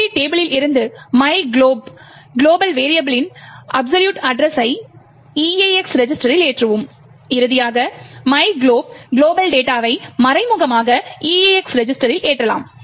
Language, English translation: Tamil, Then we load the absolute address of myglob global variable from the GOT table into the EAX register and finally we can indirectly load the myglob global data to the EAX register